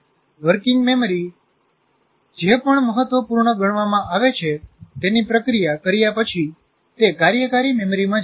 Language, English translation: Gujarati, That means after it is processed out, whatever that is considered important, it comes to the working memory